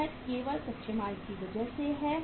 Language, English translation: Hindi, It is only because of the raw material